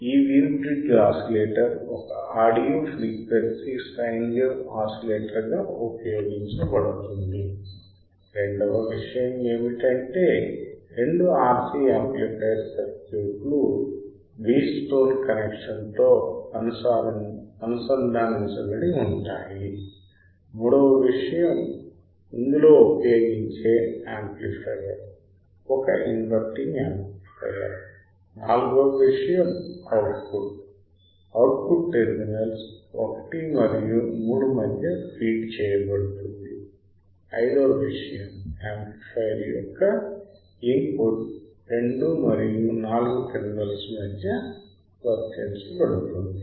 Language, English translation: Telugu, That this Wein bridge oscillator is a is used as a audio frequency sine wave oscillator, second thing is that the two RC amplifier circuit is connected in Wheatstone connection, third thing is the amplifier is a non inverting amplifier, fourth thing is the output is feedback output is feed to between the terminals 1 and 3, fifth thing is the input of the amplifier is applied between 2 and 4 right